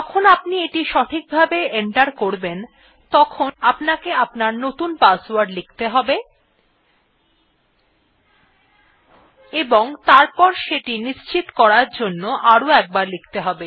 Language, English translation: Bengali, When that is correctly entered ,you will have to enter your new password and then retype it to confirm